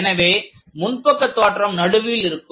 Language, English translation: Tamil, So, front view is the central one